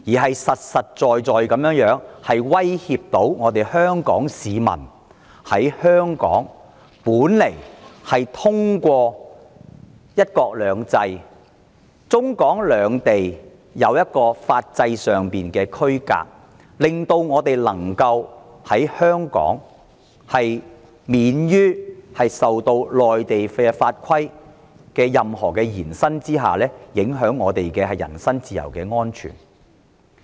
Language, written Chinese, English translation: Cantonese, 它實實在在地威脅到香港市民，因為透過"一國兩制"和中港兩地在法制上的區隔，香港本來可以免於因內地法規的延伸而影響到我們的人身自由安全。, It has posed an actual threat to people in Hong Kong because given one country two systems and the line segregating the legal systems of Hong Kong and China the personal freedom and safety of us in Hong Kong were originally immune from the impact of an extension of the Mainland laws and regulations